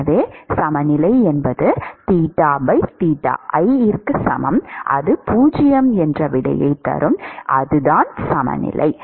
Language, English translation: Tamil, So, equilibrium is theta by theta i equal to 0, that is the equilibrium